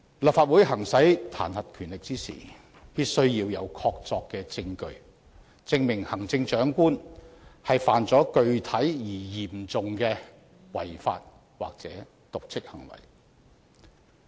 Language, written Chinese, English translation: Cantonese, 立法會行使彈劾權力時，必須要有確鑿證據，證明行政長官犯了具體而嚴重的違法或瀆職行為。, In exercising its impeachment power the Legislative Council must have conclusive evidence to prove that the Chief Executive has committed substantial and serious breach of law or dereliction of duty